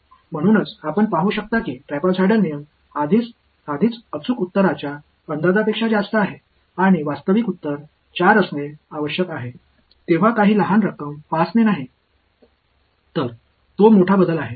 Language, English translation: Marathi, So, you can see that the trapezoidal rule is already over estimating the exact answer and not by some small amount 5 when the actual answer should be 4; so, that is the big change